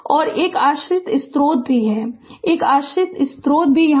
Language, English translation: Hindi, And one dependent source is also there, one dependent source is there